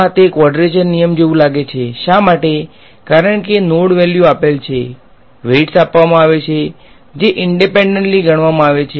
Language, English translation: Gujarati, It looks like a quadrature rule, why because the node values are to be given; the weights are given which are independently calculated